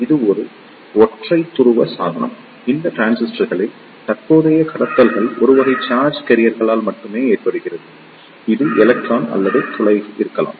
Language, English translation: Tamil, It is a unipolar device; it means that the current conduction in these transistors is due to only one type of charge carriers, it could be either electron or hole